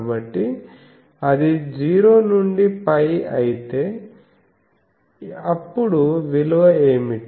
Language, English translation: Telugu, So, if it is 0 to pi, then what is the value